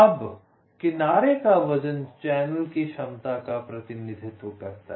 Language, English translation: Hindi, now, edge weight represents the capacity of the channel